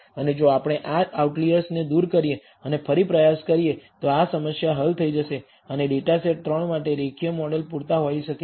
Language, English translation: Gujarati, And if we remove this outlier and retry it maybe this resolve this problem will get resolved, and linear model may be adequate for data set 3